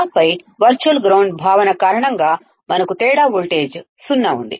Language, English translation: Telugu, And then because of the virtual ground concept we have difference voltage zero